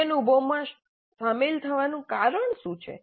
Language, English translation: Gujarati, What is the reason for engaging in that experience